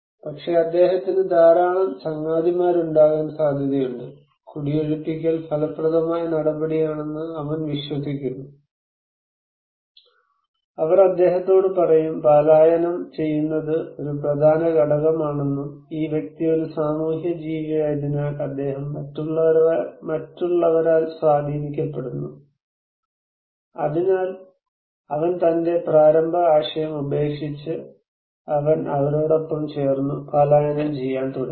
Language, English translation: Malayalam, But, it is possible that he has a lot of friends and they believe that, evacuation is an effective measures, and they told him that okay, believe us evacuation is an important component and this guy is a social animal, he is influenced by others so, he dropped his initial idea and he joined them and started to evacuate